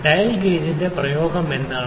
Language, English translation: Malayalam, What is the application of the dial gauge